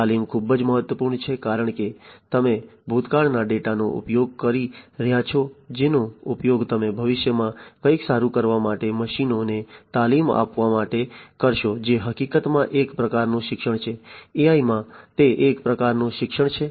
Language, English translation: Gujarati, Training is very important because, you know, so you are using past data, which you will be using to train the machines to do something better in the future that is one type of learning in fact, in AI that is one type of learning right